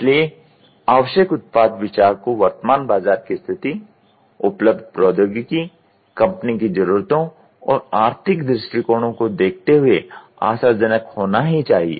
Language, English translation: Hindi, So, the product idea needed must look promising giving the current market situation, technology available, company needs, and economic outlooks